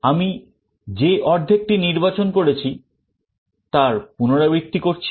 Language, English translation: Bengali, I repeat the process for the half that I have selected